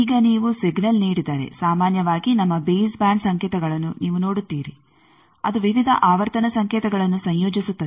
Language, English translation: Kannada, Now, if you give a signal, generally you see any signal our base band signals that composes of various frequency signals